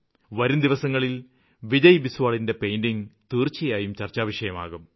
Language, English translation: Malayalam, Who knows, Vijay Biswal's work may get recognised by his paintings across the nation in the near future